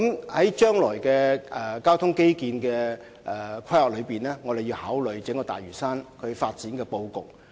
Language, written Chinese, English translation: Cantonese, 在將來進行交通基建規劃的時候，我們須考慮整個大嶼山發展的布局。, In making transport infrastructure planning in the future we must take the entire development layout of Lantau into consideration